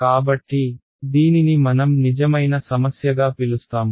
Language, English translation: Telugu, So, this is we will call this a real problem right